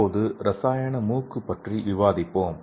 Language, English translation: Tamil, Let us see the another example that is chemical nose